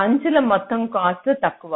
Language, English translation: Telugu, the total cost of the edges is less